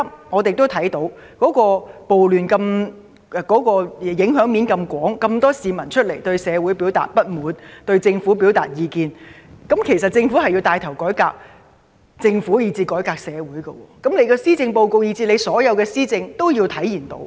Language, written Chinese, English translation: Cantonese, 我們亦看到，暴亂影響面廣泛，有這麼多市民出來表達對社會的不滿，對政府表達意見，政府必須牽頭自行作出改革，同時改革社會，這些都要在施政報告及所有施政政策中體現出來。, Many people have come out to express their dissatisfaction with society and their views on the Government . The Government must take the lead to initiate reforms on its own and reform society . These must be manifested in the Policy Address and all policy agendas